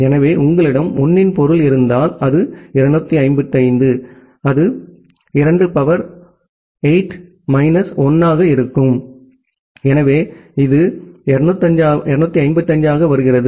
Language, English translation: Tamil, So, if you have all 1’s that means, it is it comes to be 255, 2 to the power 8 minus 1, so it comes to be 255